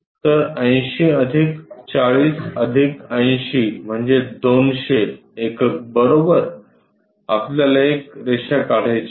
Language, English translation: Marathi, So, 80 plus 40 plus 80 is equal to 200 units we have to draw a line